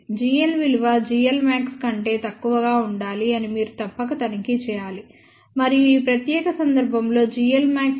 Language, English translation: Telugu, You must check that g l must be less than g l max and in this particular case, g l max is equal to 1